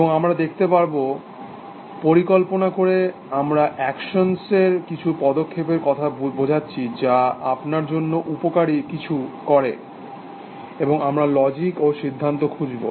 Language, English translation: Bengali, And we will see, by planning essentially we mean finding a sequence of actions, which does something useful for you, and we will also look at logic and inferences